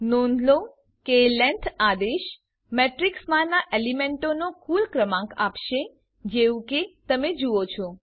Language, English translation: Gujarati, Note that the length command will give the total number of elements in the matrix as you see